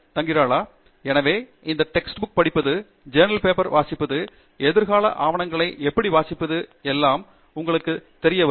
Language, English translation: Tamil, So, you really know which text book to pick up or which research paper to read, and in fact, how to read future papers